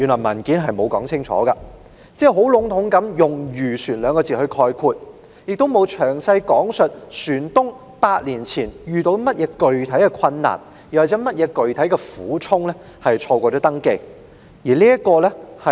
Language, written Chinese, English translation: Cantonese, 文件沒有說清楚，只籠統地用漁船來概括，亦沒有詳細講述船東8年前遇到甚麼具體困難或苦衷而錯過登記。, The paper does not make it clear and only uses the term fishing vessels in general . Nor does it set out in detail what specific difficulties or hardships vessel owners encountered such that they missed the registration eight years ago